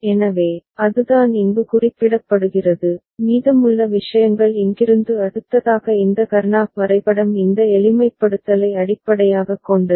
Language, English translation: Tamil, So, that is the thing, that is being represented here and rest of the things are taken from here to the next this Karnaugh map based this simplification